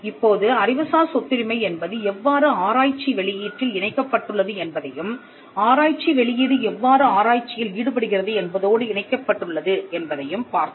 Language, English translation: Tamil, Now, we just saw how intellectual property rights are connected to the research output and how the research output is connected to what gets into research